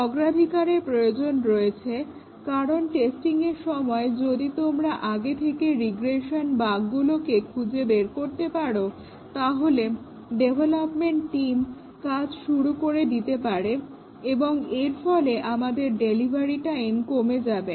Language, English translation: Bengali, We need to prioritize because if you can detect the regression bugs earlier during testing then the development team can get started and that will reduce our delivery time